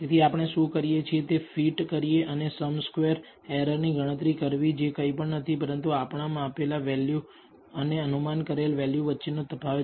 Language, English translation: Gujarati, So, what we do is perform a fit and compute the sum squared errors which is nothing but the difference between y the measured value and the predicted value